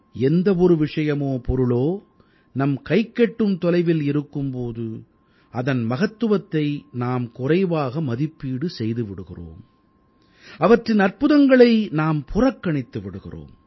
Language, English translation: Tamil, When something is in close proximity of us, we tend to underestimate its importance; we ignore even amazing facts about it